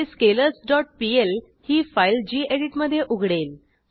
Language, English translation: Marathi, This will open the scalars dot pl file in gedit